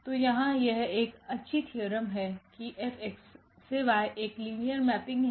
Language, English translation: Hindi, So, there is a nice theorem here that F X to Y be a linear mapping